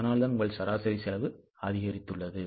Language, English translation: Tamil, That is why your average cost has gone up